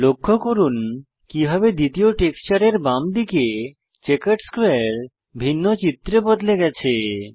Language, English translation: Bengali, Notice how the checkered square on the left of the second texture has changed to a different image